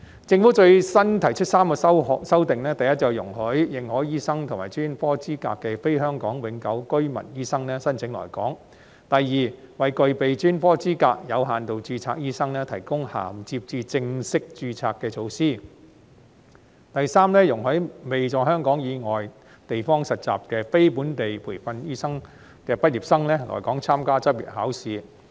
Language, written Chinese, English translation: Cantonese, 政府最新提出3項修訂：第一，容許持認可醫學及專科資格的非香港永久性居民醫生申請來港；第二，為具備專科資格的"有限度註冊"醫生提供銜接至正式註冊的措施；第三，容許未在香港以外地方實習的非本地培訓醫科畢業生來港參加執業考試。, I fully support it . The Government has proposed three latest amendments first allowing non - HKPR doctors holding recognized medical and specialist qualifications to apply for coming to Hong Kong; second providing measures for limited registration doctors holding specialist qualifications to bridge to full registration; third allowing non - locally trained medical graduates who have not undergo internship outside Hong Kong to come and take the Licensing Examination in Hong Kong . In the Governments original bill the first one was meant to provide for HKPR doctors to apply only